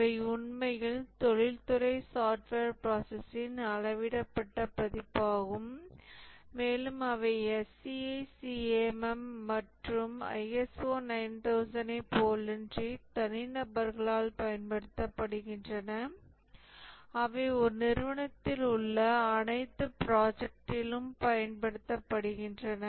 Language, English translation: Tamil, These are actually scaled down version of the industrial software process and are used by individuals unlike the SCI CM and the ISO 9,000 which are used across an organization, across all projects in an organization